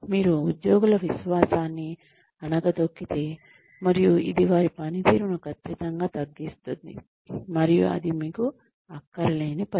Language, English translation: Telugu, You could undermine the confidence of the employees, and it will definitely bring down their performance, and that, you do not want